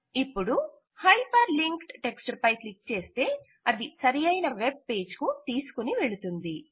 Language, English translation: Telugu, Now clicking on the hyper linked text takes you to the relevant web page